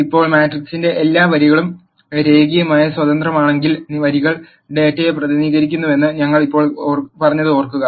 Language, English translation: Malayalam, Now if all the rows of the matrix are linearly independent, then remember we said the rows represent data